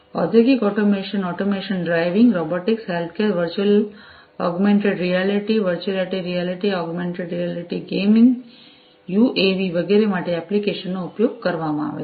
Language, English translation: Gujarati, Applications for use industrial automation, autonomous driving, robotics, healthcare, virtual augmented reality, virtual reality augmented reality gaming, UAVs and so on